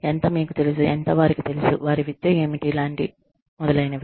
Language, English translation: Telugu, How much, you know, how much, they know, how much, what their education is like, etcetera